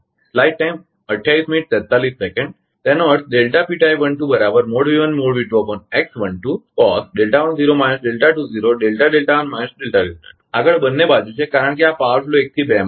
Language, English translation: Gujarati, Next is both sides because this is power flow in from 1 to 2